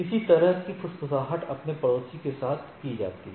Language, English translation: Hindi, So, some sort of a whispering with its neighbor right